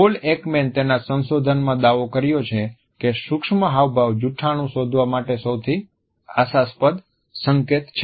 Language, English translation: Gujarati, In his research Paul Ekman has claimed that micro expressions are perhaps the most promising cues for detecting a lie